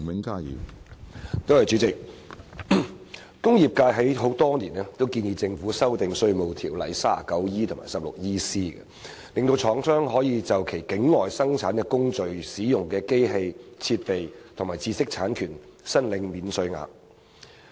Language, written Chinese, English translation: Cantonese, 工業界多年來建議政府修訂《稅務條例》第 39E 及 16EC 條，令廠商可就其境外生產工序中使用的機器、設備和知識產權申領免稅額。, Over the years the industrial sector has been proposing to the Government that sections 39E and 16EC of the Inland Revenue Ordinance IRO be amended to enable manufacturers to claim tax allowances in respect of the machinery equipment and intellectual property rights used in their production procedures located outside Hong Kong